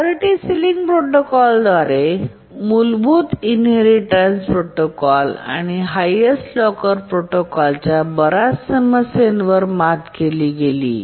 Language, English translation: Marathi, The priority sealing protocol overcame most of the problem of the basic inheritance protocol and the highest locker protocol